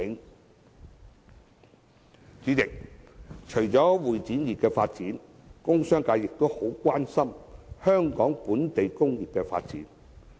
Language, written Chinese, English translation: Cantonese, 代理主席，除了會展業的發展，工商界亦很關心香港本地工業的發展。, Deputy President apart from the development of the CE industry the commercial and industrial sectors are also highly concerned about the development of the local industry